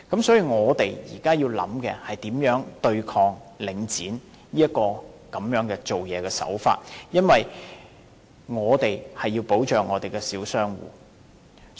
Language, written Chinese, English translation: Cantonese, 所以，我們現在要考慮的是如何對抗領展這些做法，因為我們要保障小商戶。, Therefore what warrants our consideration now is how to counteract these practices of Link REIT because we have to protect the small shop tenants